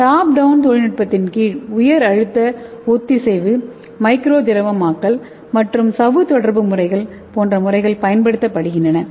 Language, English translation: Tamil, Under the top down technology these are the methods, high pressure homogenization, micro fluidization, and membrane contactor method